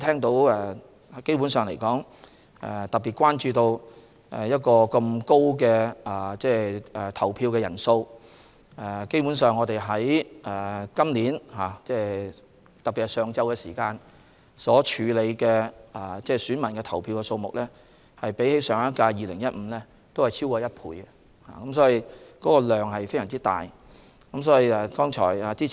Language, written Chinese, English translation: Cantonese, 大家特別關注今次投票人數十分高，在投票日上午時段所處理的選民人數比上屆2015年同一時段多逾一倍，工作量非常大。, The DC Election was particularly remarkable for its extremely high turnout rate . The number of electors processed in the morning of the polling day more than doubled compared to the same period of the previous - term election held in 2015 bearing testimony to the enormous workload